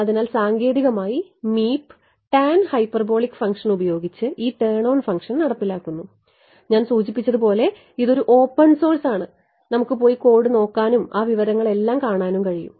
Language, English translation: Malayalam, So, technically Meep is implementing this turn on function using tan hyperbolic function and as I mentioned there is a open source we can go and look at the code and see all that information